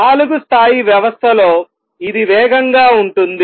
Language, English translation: Telugu, In a four level system, this is fast